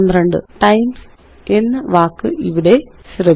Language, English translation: Malayalam, Notice the word times here